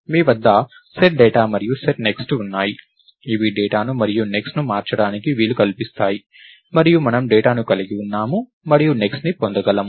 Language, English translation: Telugu, You have SetData and SetNext which will let data and next to be changed, and we have data and next which will which will do the get